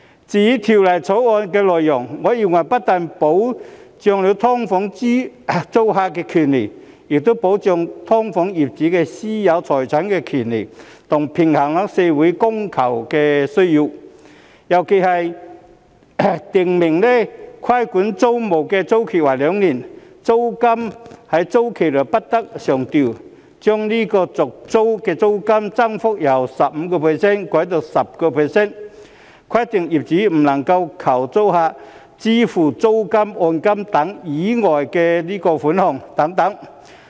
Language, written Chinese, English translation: Cantonese, 至於《條例草案》的內容，我認為不單保障了"劏房"租客的權益，亦保障了"劏房"業主的私有財產權，還平衡了社會的供求需要，尤其是其中訂明規管租賃的租期為兩年，租金在租期內不得上調；將續訂租賃的租金增幅上限由 15% 修改至 10%； 規定業主不能要求租客支付租金、按金等以外的款項等。, As for the contents of the Bill I think they protect not only the rights of SDU tenants but also the private property rights of SDU owners yet balance the supply and demand of society . In particular it is stipulated in the Bill that the term of a regulated tenancy is two years during which the rent cannot be increased; the cap on the rate of rent increase upon tenancy renewal is amended from 15 % to 10 % ; and landlords cannot require tenants to pay any money other than for the rent deposit etc